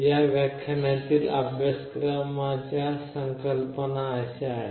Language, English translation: Marathi, The concepts that will be covered in this lecture are like this